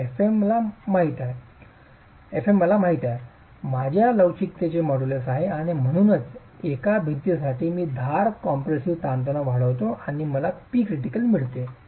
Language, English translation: Marathi, So, fM known I have the modulus of elasticity with me and so for a single wall I keep incrementing the edge compressive stress and I get the P critical